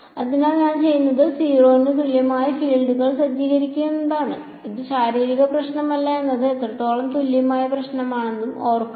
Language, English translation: Malayalam, Here what I do is I set the fields equal to 0 remember this is how equivalent problem it is not a physical problem